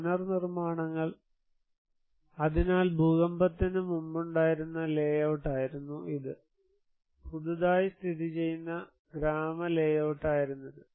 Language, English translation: Malayalam, The reconstructions, so this was the existing before the earthquake that was the layout and this was the newly located village layout